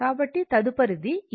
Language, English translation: Telugu, So, this is what